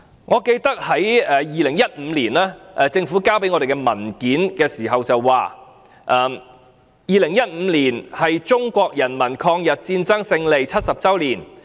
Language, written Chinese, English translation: Cantonese, 我記得政府在2015年提交的文件中表示 ，"2015 年是中國人民抗日戰爭勝利70周年。, I remember that the Government stated in the document submitted in 2015 that 2015 is the 70 anniversary of the victory of the Chinese peoples war of resistance against Japanese aggression